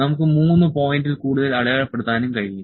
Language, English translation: Malayalam, We can mark more than 3 points as well